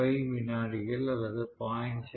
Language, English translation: Tamil, 5 seconds, 0